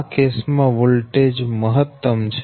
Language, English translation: Gujarati, this is voltage is maximum